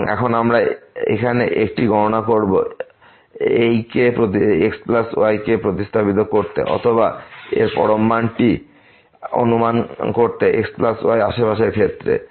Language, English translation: Bengali, And now, we will make a calculation here to substitute this plus or to estimate this absolute value of plus in terms of the neighborhood